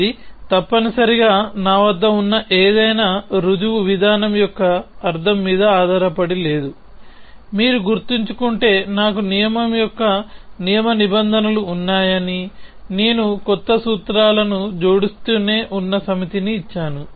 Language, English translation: Telugu, It is not ma based on meaning essentially any proof procedure that I have, if you remember it says I have a rule set of rules of inference, I gave a set of premise sand I keep adding new formulas